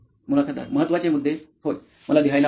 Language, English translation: Marathi, Important points, yes, I would like to write